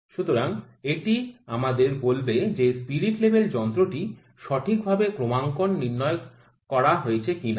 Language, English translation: Bengali, So, this will tell us that is the spirit, this instrument properly calibrated or not